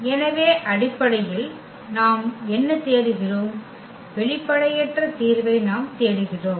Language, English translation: Tamil, So, basically what we are looking for, we are looking for the non trivial solution